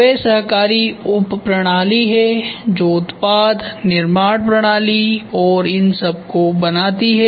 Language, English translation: Hindi, They are cooperative subsystem that forms product, manufacturing system and so on